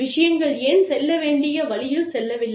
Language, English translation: Tamil, Why things have not gone on the way, they should